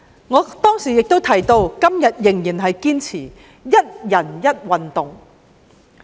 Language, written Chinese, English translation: Cantonese, 我當年亦提到，直到今天仍然堅持"一人一運動"。, I mentioned one person one sport back in those years and I still insist on this today